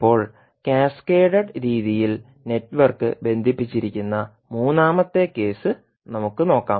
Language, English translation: Malayalam, Now, let us see the third case where the network is connected in cascaded fashion